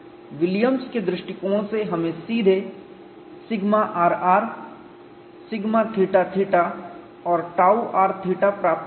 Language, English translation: Hindi, From the Williams approach, we have directly got sigma r r sigma theta theta and tau r theta